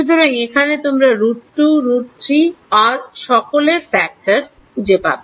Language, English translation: Bengali, So, here you will find factors of root 2, root 3 etc